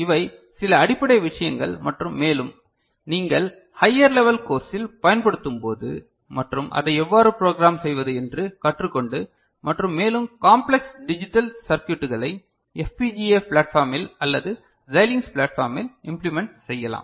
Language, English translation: Tamil, So, these are some very basic things and more when you use them in higher level course and when you learn how to program it and get more complex digital circuit implemented on FPGA platform or Xilinx platform